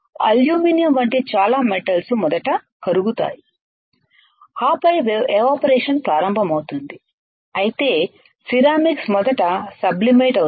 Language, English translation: Telugu, Many metals such as aluminum will melt first And then start evaporating while ceramics will sublimate first right will sublimate